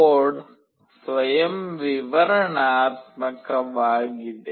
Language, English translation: Kannada, The code is self explanatory